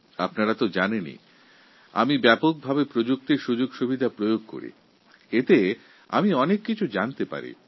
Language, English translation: Bengali, You are aware that I use a lot of technology which provides me lots of information